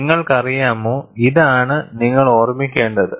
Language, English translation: Malayalam, You know, this is what you have to keep in mind